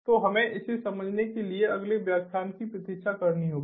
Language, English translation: Hindi, so will will have to wait for the next lecture in order to understand this